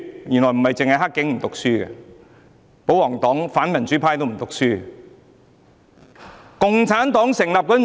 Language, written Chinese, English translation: Cantonese, 原來不止是"黑警"不讀書，保皇黨及反民主派也一樣不讀書。, I found that not only the dirty cops have not studied hard but also Members from the royalist camp and the anti - democracy camp